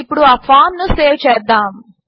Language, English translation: Telugu, Let us now save the form